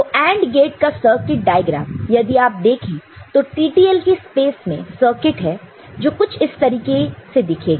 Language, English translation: Hindi, So, AND gate again, if you look at the circuit diagram, will be having a circuit in the TTL space which is which looks something like this ok